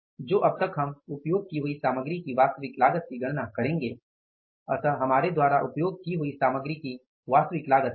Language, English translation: Hindi, So, we will have to calculate now the we are calculating here is that is the actual cost of the material used